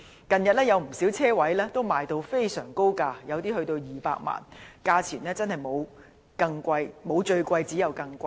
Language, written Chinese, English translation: Cantonese, 近日，不少車位以非常高的價錢出售，有些更高達200萬元，價錢真的沒有最高，只有更高。, Recently many parking spaces have been sold at sky - high prices with some reaching the high mark of 2 million and the prices can only go higher